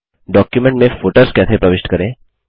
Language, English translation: Hindi, How to insert footers in documents